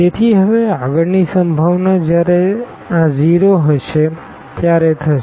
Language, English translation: Gujarati, So, now moving further the next possibility will be when this is 0